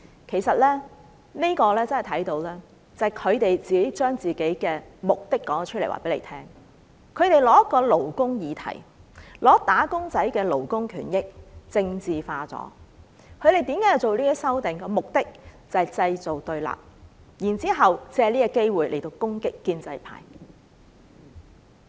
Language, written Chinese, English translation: Cantonese, 其實，由此可見，他們把自己的目的說了出來，他們以一個勞工議題，將"打工仔"的勞工權益政治化，他們提出這些修訂的目的是製造對立，然後藉此機會攻擊建制派。, Actually in doing so they have exposed their motive they are making use of a labour issue to politicize wage earners rights and interests . Their amendments are proposed for the purpose of creating confrontation and using such opportunity to attack the pro - establishment camp